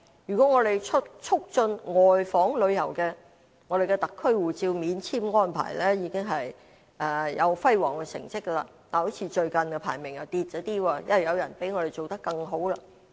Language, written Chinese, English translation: Cantonese, 如果我們促進外訪旅遊，我們的特區護照免簽安排已經有輝煌的成績，但最近的排名好像下跌了，因為有人比我們做得更好。, On promoting outbound tourism we have achieved outstanding results in obtaining visa - free arrangement for HKSAR passport holders but our ranking in this regard has slipped recently because some places have done even better than us